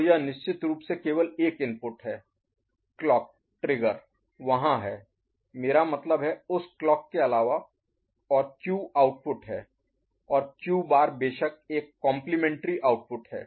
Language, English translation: Hindi, So, this is a single input of course, the clock trigger is there I mean, other than that clock; and the Q is the output and Q bar of course, a complementary output is there